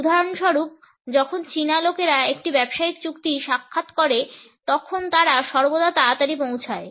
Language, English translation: Bengali, For instance when the Chinese people make an appointment for example a business deal they were always arrive early